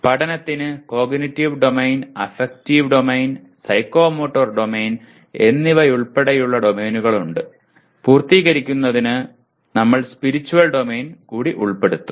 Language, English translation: Malayalam, Learning has domains including Cognitive Domain, Affective Domain, Psychomotor Domain and for completion we will include Spiritual Domain